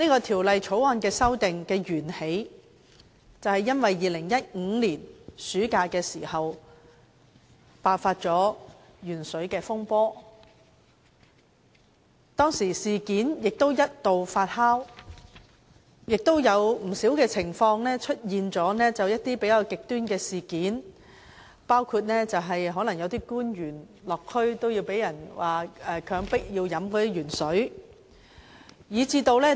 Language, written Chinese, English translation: Cantonese, 《條例草案》的源起是2015年暑假爆發的鉛水風波，當時事件一度發酵，出現了不少情況，甚至一些比較極端的事件，包括有政府官員落區時被人強迫飲用含鉛食水。, The Bill originates from the outbreak of the incident of excess lead found in drinking water during the summer holiday in 2015 . The incident has fermented and led to great controversies and some relatively extreme cases in which some government officials were forced to consume water containing lead when they were visiting districts